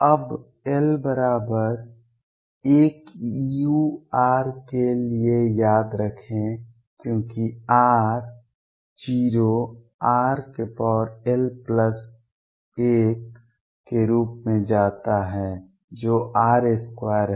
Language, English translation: Hindi, Now, remember for l equals 1 u r as r tends to 0 goes as r raise to l plus 1 which is r square